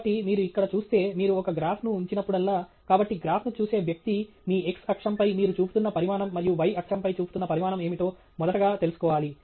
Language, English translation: Telugu, So, if you look here, whenever you put up a graph okay, so a person looking at a graph should first and foremost know what is the quantity you are plotting on your x axis and what is the quantity plotting on your y axis